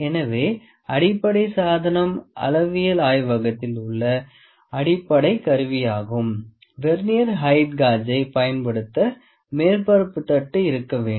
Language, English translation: Tamil, So, the basic instrument the basic tool in metrology lab surface plate has to be there to use Vernier height gauge